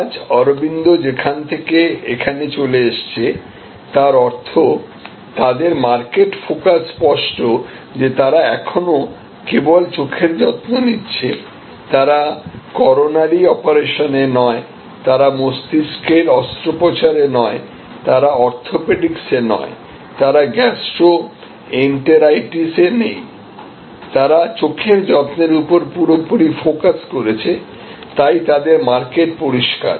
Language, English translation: Bengali, Today, Aravind has moved from there to here; that means, their market focus is clear they are still doing eye care only, they are not into coronary operations, they are not into brains surgery, they are not into orthopedics, they are not into gastroenteritis they are fully focused on eye care, so their market is clear